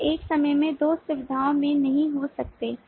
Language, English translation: Hindi, you cannot at a time be at two facilities